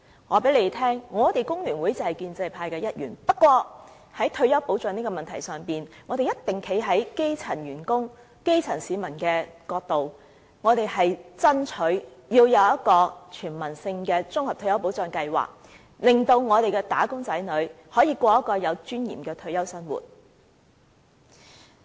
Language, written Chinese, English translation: Cantonese, 我告訴大家，工聯會就是建制派的一員，但在退休保障的問題上，我們是一定會站在基層員工、基層市民的一邊，爭取有一個全民性的綜合退休保障計劃，令"打工仔女"可以過着有尊嚴的退休生活。, I wish to tell Members that FTU is indeed a part of the establishment camp . But as far as retirement protection is concerned we will definitely stand by grass - root workers and grass - root people . We will fight for a universal retirement protection scheme which will enable wage earners to live a dignified retirement life